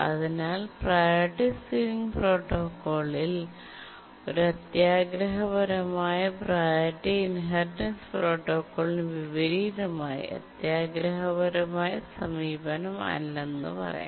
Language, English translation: Malayalam, So we can say that Priority Sealing Protocol is not a greedy approach in contrast to the priority inheritance protocol which is a greedy approach